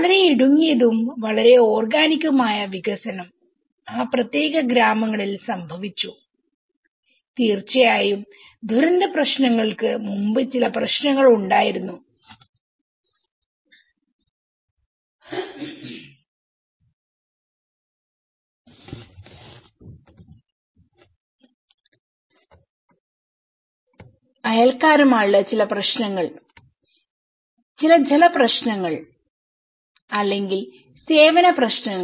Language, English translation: Malayalam, Were very narrow, very organic development happened in that particular villages and of course there was also some problems before the disaster issues, with some neighbours issues, with some water issues or the service issues